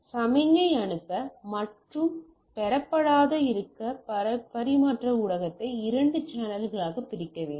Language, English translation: Tamil, For signal to be both send and received the transmission media must be split into two channels